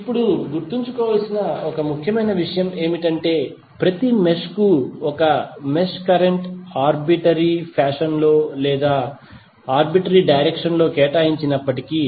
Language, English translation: Telugu, Now one important thing to remember is that although a mesh current maybe assigned to each mesh in a arbitrary fashion or in a arbitrary direction